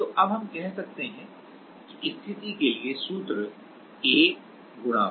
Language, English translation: Hindi, So, now, let us say we will just then the formula for our case will be A * Y / L